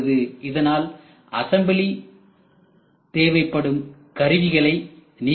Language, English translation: Tamil, So, eliminate the need for assembly tools right